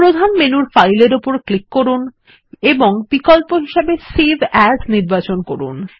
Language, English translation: Bengali, Click on File in the Main menu and choose the Save as option